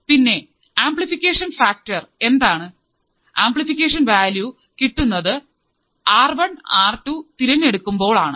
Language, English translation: Malayalam, And what is the amplification factor, amplification is done by values of R1 and R2